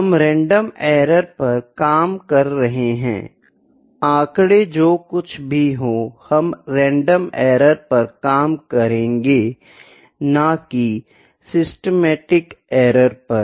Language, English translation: Hindi, We are working on the random errors, the statistics whatever we will work on we will work on the random errors not a systematic error